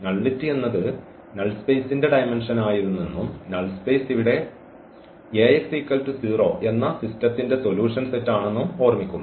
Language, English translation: Malayalam, Nullity remember the nullity was the dimension of the null space and the null space here is the solutions set of this Ax is equal to 0